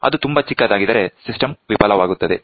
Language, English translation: Kannada, So, if it is very small, the system fails